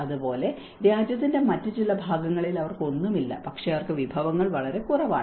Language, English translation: Malayalam, Similarly, in some other part of the country, they do not have anything, but they have very less resources